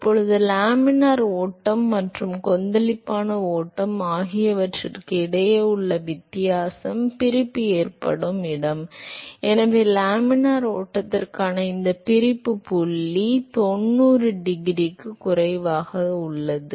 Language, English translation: Tamil, Now, the only different between laminar flow and turbulent flow here is that the location where the separation occurs; so, this separation point for laminar flow is less than ninety degree